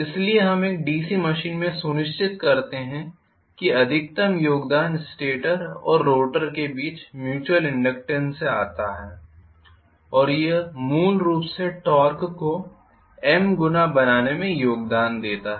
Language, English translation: Hindi, So, what we do in a DC machine is to make sure that the maximum contribution comes from the mutual inductance between the stator and rotor and that essentially contribute to you know the torque being simply M times